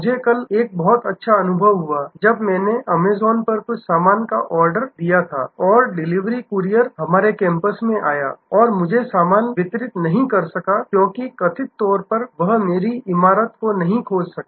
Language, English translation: Hindi, I had a very good experience yesterday, when I had ordered some stuff on an Amazon and the delivery courier came to our campus and could not deliver the stuff to me, because allegedly he could not find the building